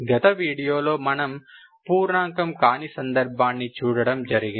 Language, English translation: Telugu, In this video we will see a difference is integer case